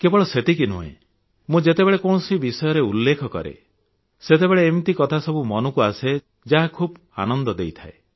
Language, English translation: Odia, And not only this, when I mention something positive, such memories come to recall, it is very much a pleasant experience